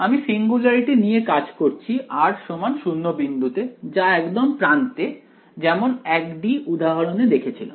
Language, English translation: Bengali, We will deal with the singularity the r is equal to 0 point in the very end as we have done in the 1 D example fine ok